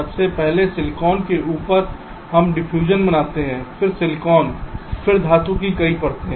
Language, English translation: Hindi, so on top of the silicon we create the diffusion, then poly silicon, then several layers of metal